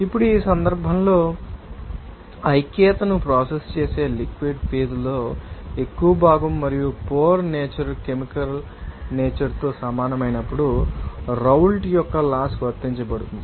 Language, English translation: Telugu, Now, in this case, the Raoult’s law will be applied when the mole fraction in the liquid phase that will process unity and, or pore solutions for you know, hit similar in chemical nature